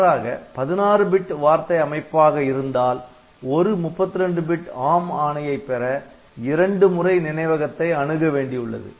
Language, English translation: Tamil, On the other hand if you are having 16 bit memory word then for getting a 32 bit instruction ARM instruction so, you need to access memory twice